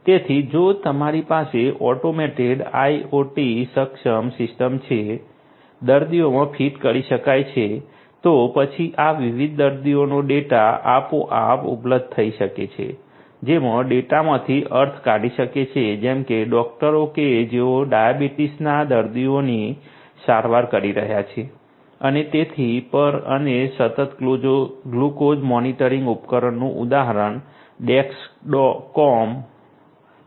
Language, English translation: Gujarati, So, if you have an automated IoT enabled system to which the patients can be fitted, then a automatically the data from this different patients can be made available to whoever can make sense out of the data such as doctors who are treating the patient the diabetes patient and so on and example of continuous glucose monitoring device is the Dexcom